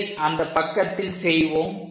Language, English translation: Tamil, So, let us do that on page